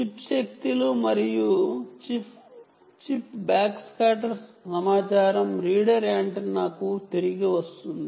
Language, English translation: Telugu, the chip powers and the chip backscatters information back to the reader antenna